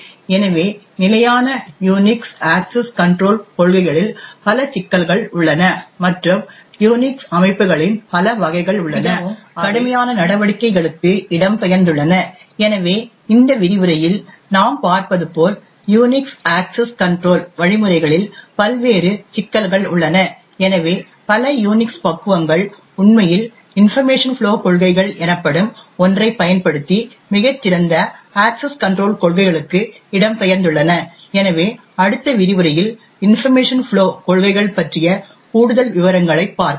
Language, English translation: Tamil, So therefore there are multiple issues with standard Unix access control policies and there are several variants of Unix systems which have actually migrated to more stringent measures, so as we see in this lecture there are various problems with the Unix access control mechanisms and therefore many Unix flavours has actually migrated to a much better access control policies using something known as information flow policies, so in the next lecture we look at more details about information flow policies